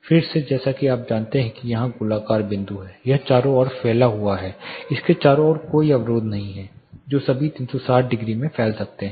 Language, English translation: Hindi, Again similar you know the spherical point here it propagates across, there is no barrigation around it can propagate in all the 360 degrees